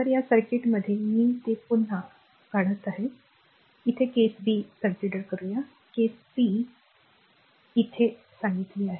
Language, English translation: Marathi, So, in this circuit I am I am drawing it again for your understanding it is the case b, it is the for this case this is case b